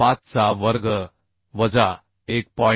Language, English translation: Marathi, 35 square minus 1